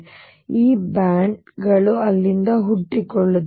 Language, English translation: Kannada, So, these bands arise from there